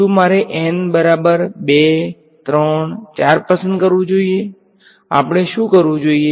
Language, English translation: Gujarati, Should I choose n equal to 2, 3, 4 what should we do